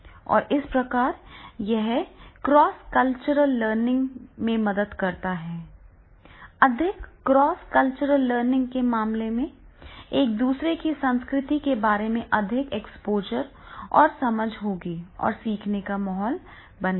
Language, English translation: Hindi, If there is a more cross cultural learning, then there will be more exposure and understanding of each other's culture and learning environment will be created